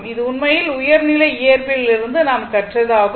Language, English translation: Tamil, So, this is from your higher secondary physics